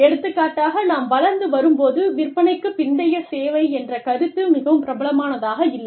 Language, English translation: Tamil, For example, when we were growing up, the concept of after sales service, was not very prevalent